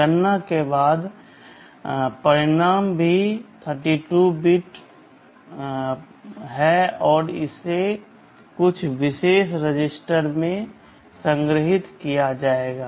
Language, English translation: Hindi, The result after the calculation is also a 32 bit result and this will be stored in some particular register